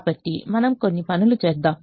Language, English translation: Telugu, so let us do a few things now